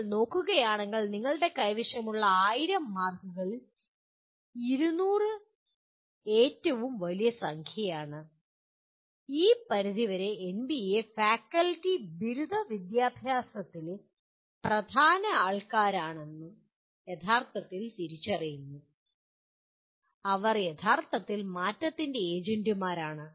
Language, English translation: Malayalam, If you look at, 200 is the largest number out of the 1000, 1000 marks that you have and to this extent NBA recognizes truly the faculty are the main players in undergraduate education and they are the truly change agents